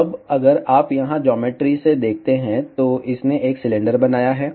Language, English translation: Hindi, So, now if you see here from geometry itself, it has created a cylinder